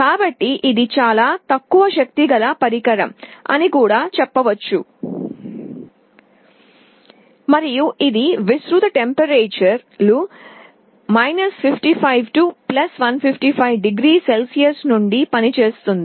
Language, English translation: Telugu, So, it is also a very low power device, and it can operate over a wide range of temperatures from 55 to +155 degree Celsius